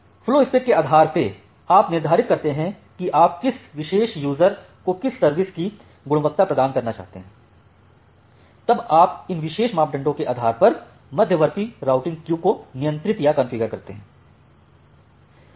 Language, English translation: Hindi, So, based on the flow spec you determined that what level of quality of service you want to provide to a particular user, then you control or you configure the intermediate routing queues based on these particular parameters